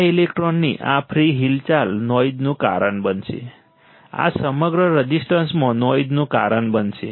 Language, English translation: Gujarati, This free movement of this electron will cause a noise; this will cause a noise across the resistance